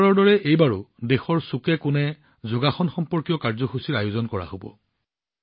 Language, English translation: Assamese, Like every time, this time too programs related to yoga will be organized in every corner of the country